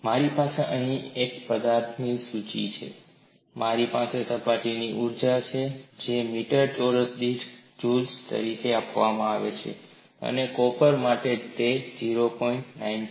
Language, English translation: Gujarati, I have a list of material here and I have the surface energy which is given as joules per meter square, and for copper it is 0